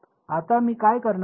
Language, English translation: Marathi, Now, what I am going to do